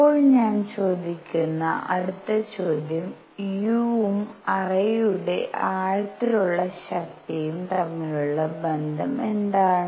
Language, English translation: Malayalam, So next question I ask is; what is the relationship between u and the immersive power of the cavity